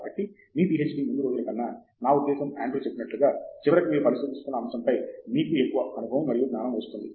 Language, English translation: Telugu, So, at least in earlier days of your PhD, I mean as Andrew said, by the end you have more experience and knowledge in that particular aspect of what you are examining